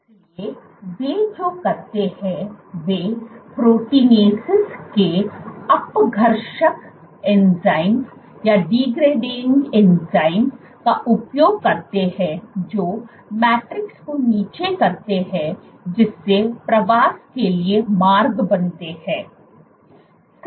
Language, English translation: Hindi, So, what they do is they make use of degrading enzymes of proteinases which degrade the matrix thereby creating paths for migration